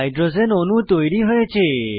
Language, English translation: Bengali, Hydrogen molecule is formed